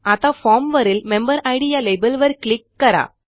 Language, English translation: Marathi, Now let us click on the MemberId label on the form